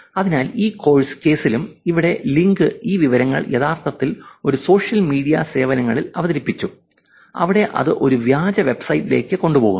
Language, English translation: Malayalam, So, here in this case also, the link here, this information was actually presented in one of the social media services where it was taking it to a fake website